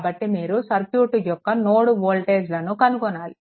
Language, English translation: Telugu, So, you have to find out the node voltages of the circuit